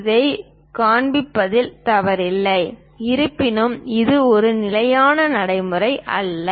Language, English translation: Tamil, There is nothing wrong in showing this; however, this is not a standard practice